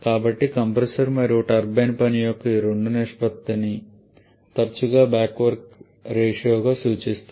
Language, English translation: Telugu, So, the ratio of these 2 or compressor and turbine work is often refer to as the back work ratio